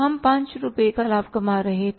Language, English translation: Hindi, We were earning the profit of 5 rupees